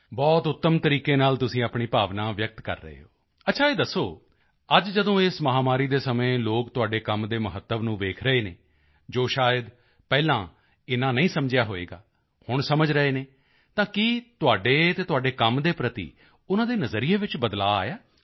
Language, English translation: Punjabi, Okay, tell us…today, during these pandemic times when people are noticing the importance of your work, which perhaps they didn't realise earlier…has it led to a change in the way they view you and your work